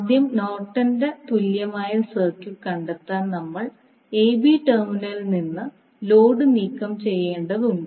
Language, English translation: Malayalam, So, to find out the Norton’s equivalent first we need to remove the load from terminal a b